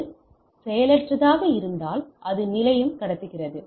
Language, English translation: Tamil, If it is idle that is the station transmits